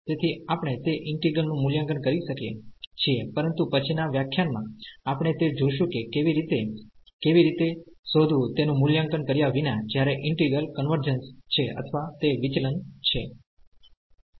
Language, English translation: Gujarati, So, we can evaluate those integrals, but in the next lecture we will see that how to how to find without evaluating whether the integral converges or it diverges